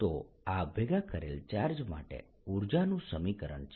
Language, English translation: Gujarati, so that is the expression for the energy of an assembly of charges